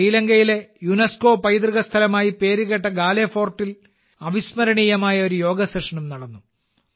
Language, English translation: Malayalam, A memorable Yoga Session was also held at Galle Fort, famous for its UNESCO heritage site in Sri Lanka